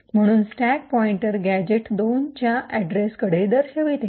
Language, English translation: Marathi, Therefore, the stack pointer is pointing to the address gadget 2